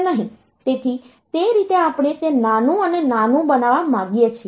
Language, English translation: Gujarati, So, that way we want that to be smaller and smaller